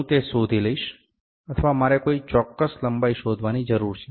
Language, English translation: Gujarati, I will find it or I need to find some specific length